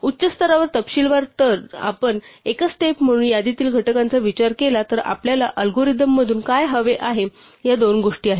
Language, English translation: Marathi, Well, at a high level of detail if we think of list out factors as a single step, what we want from an algorithm are two things